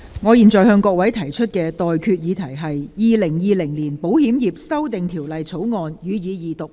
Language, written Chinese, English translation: Cantonese, 我現在向各位提出的待決議題是：《2020年保險業條例草案》，予以二讀。, I now put the question to you and that is That the Insurance Amendment Bill 2020 be read the Second time